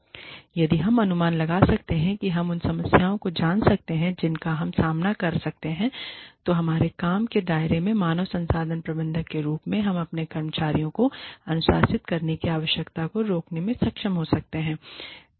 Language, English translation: Hindi, Or, if we can anticipate, you know, the problems, that we can encounter in our, within the scope of our work, as human resources managers, we may be able to prevent, the need to discipline our employees